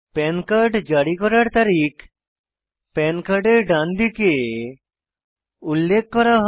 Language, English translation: Bengali, The Date of Issue of the PAN card is mentioned at the right hand side of the PAN card